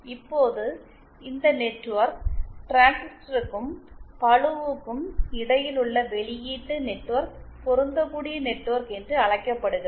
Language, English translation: Tamil, Now this network that is that between the transistor and the load is called the output matching network